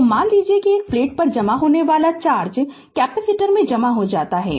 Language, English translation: Hindi, So, we can say that that the charge accumulates on one plate is stored in the capacitor